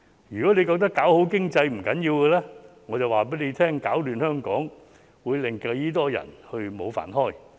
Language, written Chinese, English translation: Cantonese, 如果他覺得搞好經濟是不要緊的，我就告訴他攪亂香港會令多少人失業。, While he may not realize the importance of economic development he should have some ideas about how many people will lose their jobs if he stirs up chaos in Hong Kong